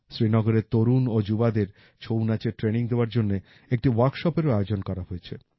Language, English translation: Bengali, A workshop was also organized to impart training in 'Chhau' dance to the youth of Srinagar